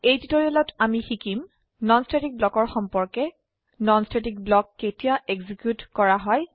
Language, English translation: Assamese, In this tutorial we will learn About non static block When a non static block executed